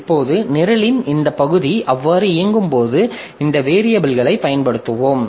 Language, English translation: Tamil, Now, when this part of the program is executing, so it will be using these variables that we have here